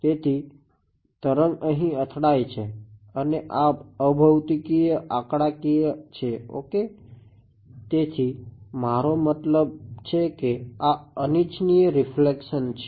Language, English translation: Gujarati, So, the wave hits over here and this is unphysical numerical ok